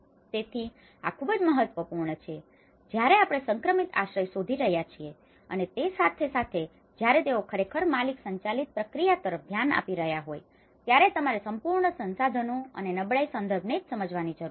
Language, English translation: Gujarati, So, this is very important when we are looking at the transitional shelter and as well as when they are actually looking at the owner driven process, you need to understand the whole resources and their vulnerability context itself